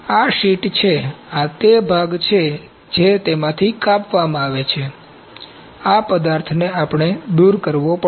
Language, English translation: Gujarati, This is the sheet this is the part that is cut from it this material has to be removed